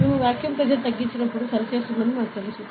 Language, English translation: Telugu, We know that when we create a vacuum pressure decreases, correct